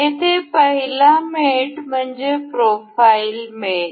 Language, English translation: Marathi, The first mate here is profile mate